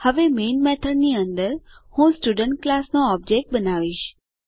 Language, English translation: Gujarati, Now inside the main method I will create an object of the Student class